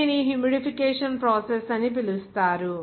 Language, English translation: Telugu, It is called the humidification process